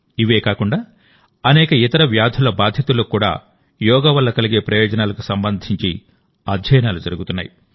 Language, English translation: Telugu, Apart from these, studies are being done regarding the benefits of yoga in many other diseases as well